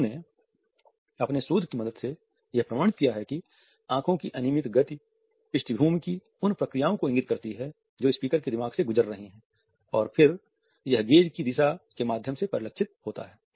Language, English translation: Hindi, They have authenticated with the help of their research that the random movement of the eyes indicate the background processes which are running through the mind of the speaker and then this is reflected through the direction of gaze